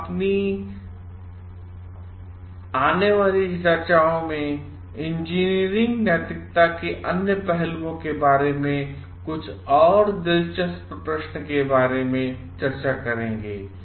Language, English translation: Hindi, We will discuss about some more interesting questions about other aspects of engineering ethics in our upcoming discussions